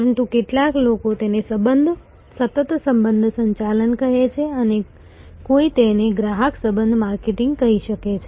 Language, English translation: Gujarati, But, some peoples call it continuous relationship management or it may somebody may call it customer relationship marketing